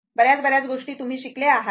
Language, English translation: Marathi, Many thing many things you have studied